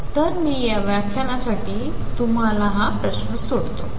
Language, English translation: Marathi, So, I will leave you with that question in this lecture